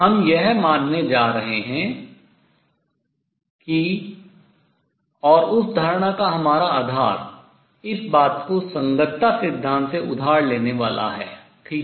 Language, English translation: Hindi, We are going to assume that and our basis of that assumption is going to be borrowing this thing from the correspondence principle right